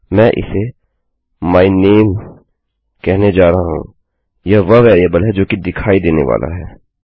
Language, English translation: Hindi, Im going to call it my name which is the variable thats going to appear